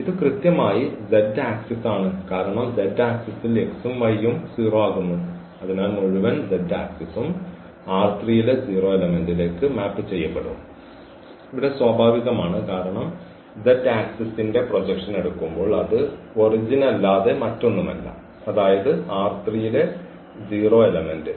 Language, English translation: Malayalam, So, the whole z axis will be mapped to this 0 element in R 3 and that is natural here because the z axis when we take the projection of the z axis is nothing but the origin that is means a 0 element in R 3